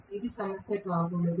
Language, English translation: Telugu, It should not be a problem